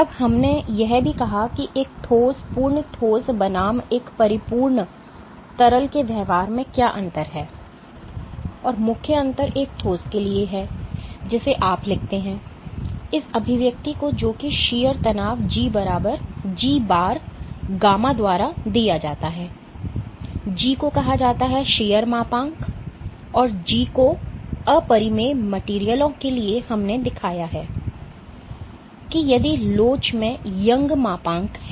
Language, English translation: Hindi, Now, we also said that how what is the difference between behavior of a solid, perfect solid versus a perfect liquid, and the main difference is for a solid you write down this expression well shear stress is given by G times gamma, G is called the shear modulus and, G, for incompressible materials we have shown that Young’s modulus if elasticity